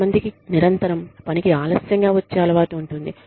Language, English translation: Telugu, Some people are constantly in the habit of, coming to work late